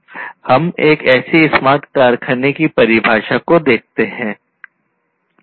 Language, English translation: Hindi, So, let us look at one such definition of smart factory